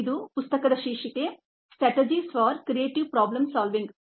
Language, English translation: Kannada, the title of the book is strategies for creative problem solving